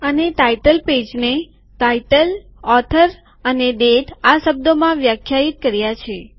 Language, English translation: Gujarati, And the title page is defined in terms of title, author and date